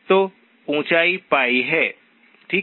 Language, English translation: Hindi, So the height is pi, okay